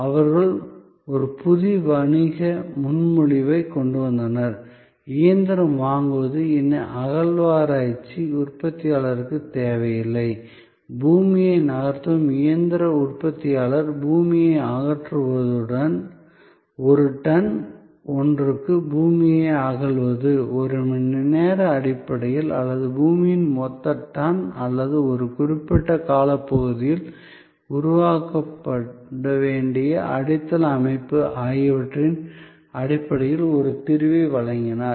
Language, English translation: Tamil, So, they came up with a new business proposition, that the machine purchase was no longer needed, rather the excavator manufacturer, the earth moving machinery manufacturer offered a solution in terms of removal of earth, excavation of earth in per ton, per hour basis or total tonnage of earth or a foundation structure to be created over a certain span of time